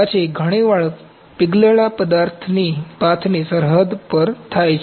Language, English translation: Gujarati, Then often occurring at the border of the molten tracks